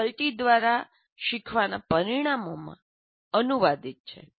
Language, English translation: Gujarati, These are translated into learning outcomes by the faculty